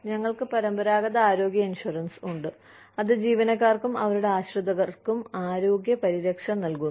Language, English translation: Malayalam, We have traditional health insurance, provides health care coverage, for both employees and their dependents